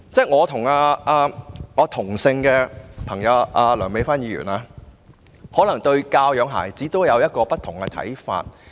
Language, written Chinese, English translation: Cantonese, 我和梁美芬議員皆姓梁，但大家對教養孩子可能有不同看法。, Dr Priscilla LEUNG and I share the same family name but our views on raising children may be so very different